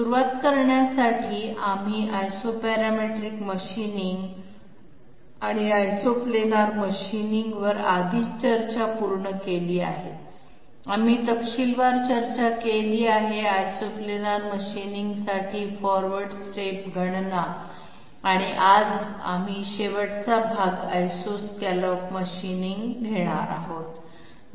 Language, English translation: Marathi, To start with, we have already finished the discussion on Isoparametric machining and isoplanar machining, we have discussed in details um, forward step calculation for Isoplanar machining and today we will be taking up the last part Isoscallop machining, which produces equal height of roughness scallop all through the surface